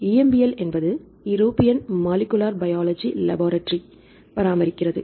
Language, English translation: Tamil, EMBL is maintain from European Molecular Biology Laboratory right